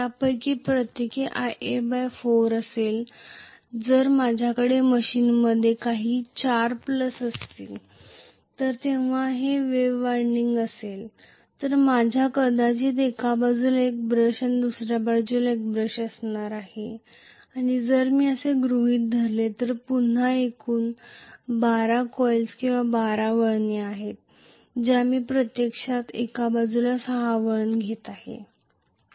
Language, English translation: Marathi, each of them will be Ia by 4, if there are 4 plus that are there in my machine arrangement rather if it is wave winding I am rather going to have probably one brush on one side another brush on another side, and if I assume that again there are 12 coils or 12 turns on the whole I am going to have actually on one side 6 turns,right